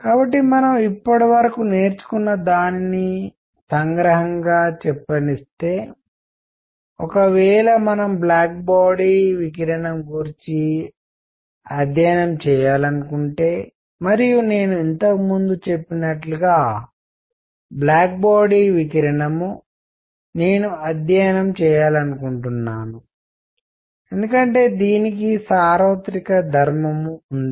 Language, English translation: Telugu, So, let me summarize whatever we have learnt so far is that; if we wish to study black body radiation and as I said earlier; black body radiation, I want to study because it has a universal property